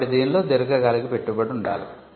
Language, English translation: Telugu, So, it has to be a long term investment